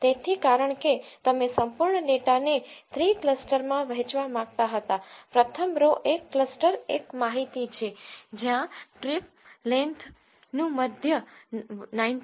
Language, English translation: Gujarati, So because you wanted to divide the whole data into three clusters, the first row is the cluster 1 information where the mean of the trip length is 19